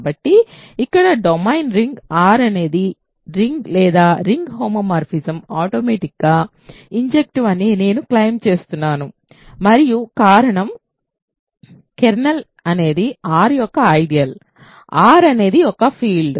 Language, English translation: Telugu, So, here the domain ring R is a field I claim then that the ring or ring homomorphism is automatically injective and the reason is, it is kernel is an ideal of R; R is a field